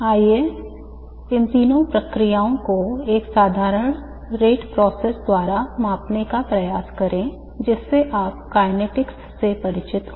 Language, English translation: Hindi, Let us try and quantify these three processes by a simple rate process that you are familiar with from the kinetics